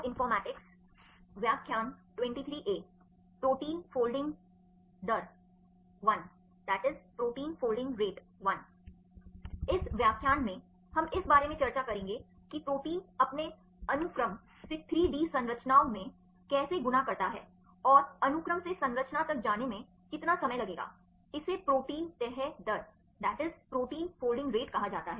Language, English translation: Hindi, In this lecture, we will discuss about how a protein folds from its sequence to 3 D structures and how long it will take to go from the sequence to the structure; that is called the protein folding rate